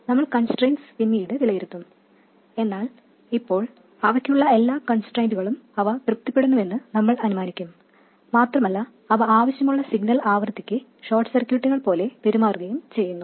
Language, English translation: Malayalam, We will evaluate the constraints later but for now we will assume that they satisfy whatever constraints they have to and they do behave like short circuits for the desired signal frequencies